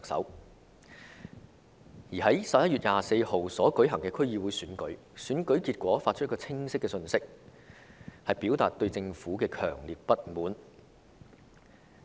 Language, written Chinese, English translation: Cantonese, 另一方面，在11月24日舉行的區議會選舉，選舉結果帶出一個清晰的信息，就是市民表達了對政府的強烈不滿。, Meanwhile the result of the District Council DC Election on 24 November has struck home a clear message which is the peoples strong dissatisfaction with the Government